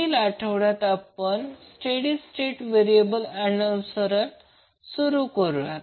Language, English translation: Marathi, In next week we will start our topic related to state variable analysis